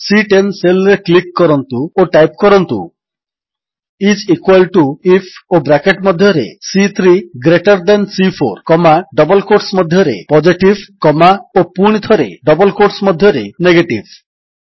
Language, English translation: Odia, Lets click on the cell referenced as C10 and type, is equal to IF and within braces, C3 greater than C4 comma, within double quotes Positive comma and again within double quotes Negative